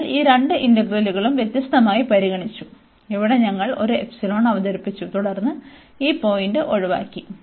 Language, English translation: Malayalam, So, we have now considered, these two integrals differently here we have introduced one epsilon, and then avoided these point there